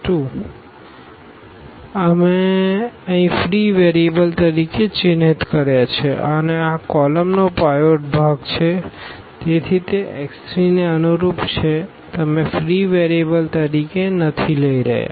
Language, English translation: Gujarati, So, this x 2, we have marked here as free variables and this column has a pivot so, this is corresponding to x 3 you are not taking as free variable